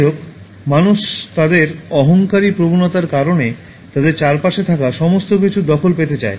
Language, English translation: Bengali, However, human beings, owing to their egoistic tendencies seek possession of everything surrounding them